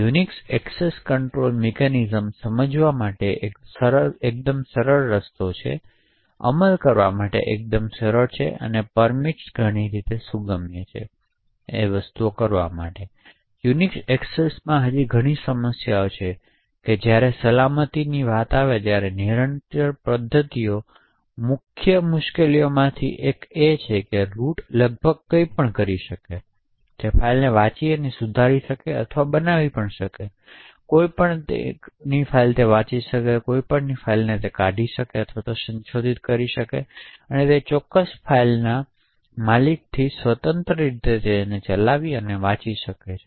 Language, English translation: Gujarati, While the Unix access control mechanisms are quite easy to understand, quite easy to implement and permits are lots of flexibility in the way, things are done, there are still a lot of problems in the Unix access control mechanisms when it comes to security, one of the main problems is that the root can do almost anything, so it can read and modify or create files, it can read any or it can delete or modify files, it can read or execute any files, independent of the owner of those particular files